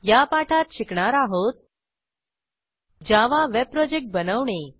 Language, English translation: Marathi, Welcome to the spoken tutorial on Creating a Java Web Project